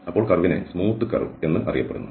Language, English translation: Malayalam, Then the curve is known as smooth